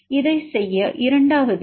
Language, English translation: Tamil, And the second one to do this it is 2